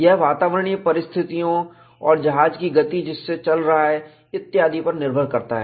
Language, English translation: Hindi, It depends on the atmospheric conditions and so on and so forth; in what speed the ship is traveling; there are many factors